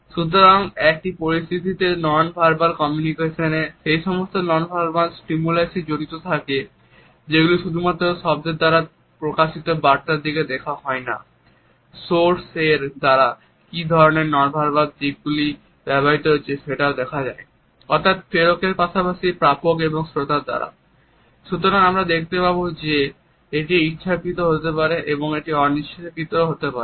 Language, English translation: Bengali, So, nonverbal aspects of communication involve those nonverbal stimuli in a situation, where we not only look at the message which is being communicated through words, but we are also looking at what type of nonverbal aspects have been used by the source that is the sender as well as by the receiver or by the listener